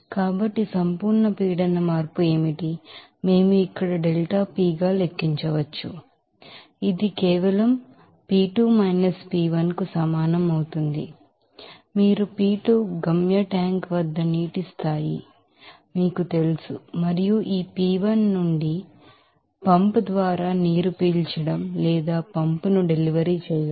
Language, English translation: Telugu, So, what should be the absolute pressure change, we can calculate as delta P here so, that will be equal to simply P2 P1 as per diagram this is you are P2 at that you know level of water at the destination tank and this P1 from where this you know water is sucking by this pump or delivering that pump